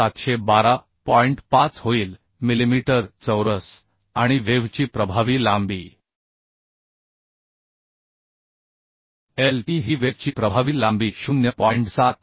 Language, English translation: Marathi, 5 millimeter square and effective length of web effective length of web le is equal to 0